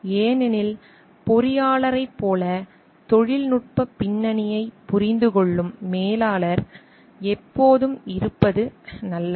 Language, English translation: Tamil, Because it is always good to have a manager who understands the technical background as the engineer does